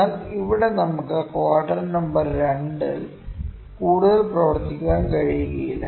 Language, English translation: Malayalam, But here we cannot work much in quadrant number 2, ok